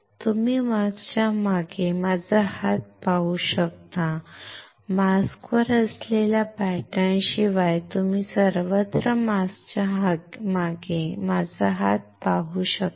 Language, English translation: Marathi, You can see my hand behind the mask you can see my hand behind the mask everywhere, except the pattern which are on the mask